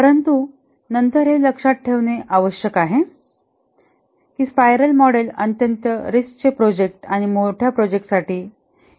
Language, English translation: Marathi, But then need to remember that the spiral model is suitable for very risky projects and large projects